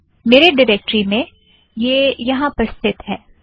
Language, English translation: Hindi, In my directory it is located at this place